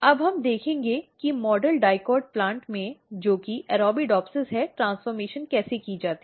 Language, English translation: Hindi, Now, we will see how transformation is done in a model dicot plant which is Arabidopsis